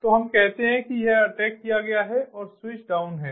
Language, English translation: Hindi, so let us say that it has been attacked and the switch is down